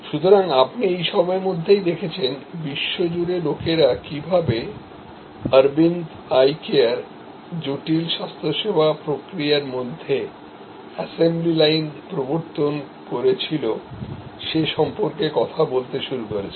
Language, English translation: Bengali, So, you see by this time, World Wide people had started talking about how Aravind Eye Care introduced assembly line like process in intricate health care